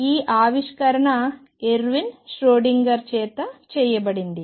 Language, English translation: Telugu, And this discovery who was made by Erwin Schrödinger